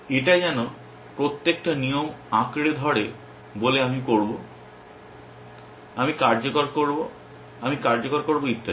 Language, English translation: Bengali, It is like each rules clambering to say I will, I will execute, I will execute and so on